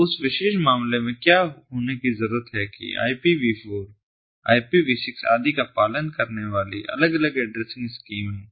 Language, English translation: Hindi, so in that particular case, what needs to be hap, what needs to happen, is there are different addressing schemes that are followed: ipv four, ipv six and so on